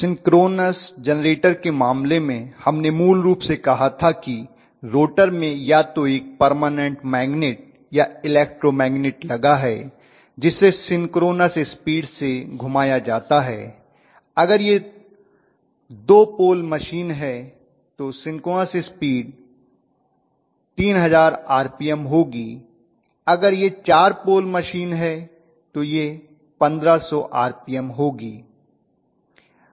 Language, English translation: Hindi, So in the case of synchronous generator we said basically that we are going to have either a permanent magnet or electro magnet in the rotor which will be rotated at synchronous speed and when it is being rotated at so called synchronous speed, if it is a 2 pole machine it will be 3000 RPM, if it is a 4 pole machine it will be 1500 RPM